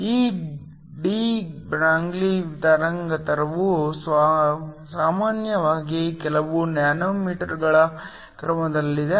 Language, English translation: Kannada, Now the de Broglie wavelength is usually of the order of few nanometers